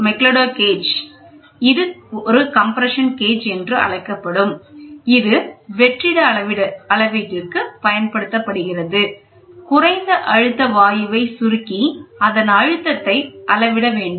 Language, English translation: Tamil, McLeod gauge which is also known as the compression gauge is used for vacuum measurement, by compressing the low pressure gas whose pressure is to be measured